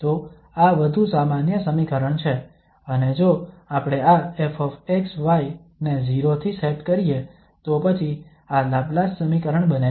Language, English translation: Gujarati, So this is more general equation and if we set this f x, y to 0 then this becomes Laplace equation